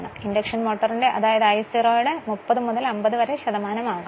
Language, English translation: Malayalam, But in induction motor it will be maybe 30 to 50 percent this I 0